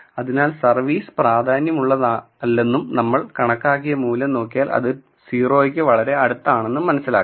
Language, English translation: Malayalam, So, this tells you that this term, service, is not important and if you look at the estimated value it is very very close to 0